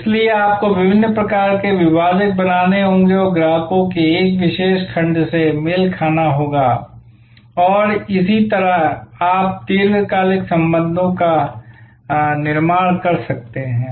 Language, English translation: Hindi, So, you have to create a certain set of differentiators and match a particular segment of customers and that is how you can build long term relationships